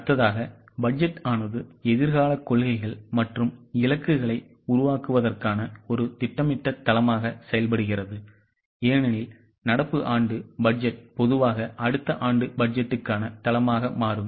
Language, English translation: Tamil, The next point is budget acts as a systematic base for framing future policies and targets because current year budget usually becomes base for next year budget